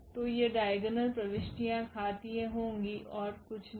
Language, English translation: Hindi, So, these diagonal entries will be powered and nothing else